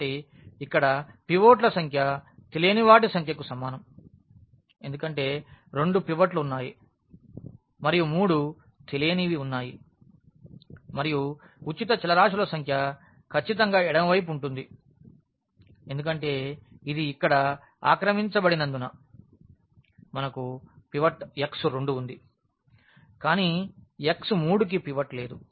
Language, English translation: Telugu, So, here the number of pivots in a less than is equal to number of unknowns because there are two pivots and there are three unknowns and the number of free variables will be precisely the left one because this is occupied here we have pivot x 2 has a pivot, but x 3 does not have a pivot